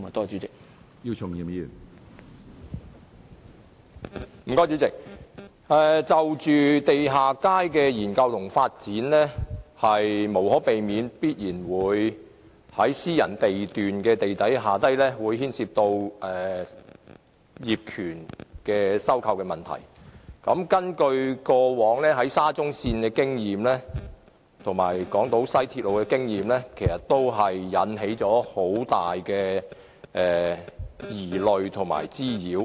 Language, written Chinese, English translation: Cantonese, 主席，地下街的研究和發展，會無可避免地涉及私人地段地底下的業權收購問題，從過往興建沙中線和西港島線的經驗，可發現往往會引起很大的疑慮和滋擾。, President the study and development of underground space will inevitably involve the acquisition of underground space ownership of private lots and past experiences in implementing railway projects like the Shatin to Central Link and West Island Line indicate that this has always led to serious doubts and nuisance